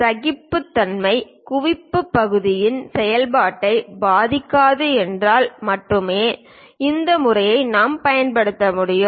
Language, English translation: Tamil, This method we can use it only if tolerance accumulation is not going to affect the function of the part